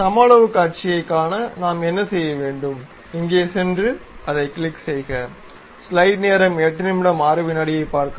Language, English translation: Tamil, To visualize isometric view, what we have to do, go here, click that one